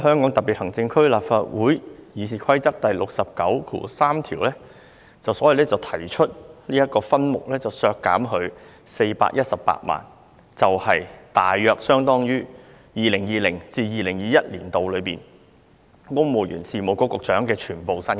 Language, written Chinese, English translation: Cantonese, 我根據立法會《議事規則》第693條，提出削減總目143在分目000運作開支項下的撥款418萬元，大約相當於 2020-2021 年度公務員事務局局長全年薪金。, Under Rule 693 of the Rules of Procedure of the Legislative Council I propose to reduce the provisions under subhead 000 Operational expenses of head 143 by 4.18 million roughly equivalent to the annual salary of the Secretary for the Civil Service in the year 2020 - 2021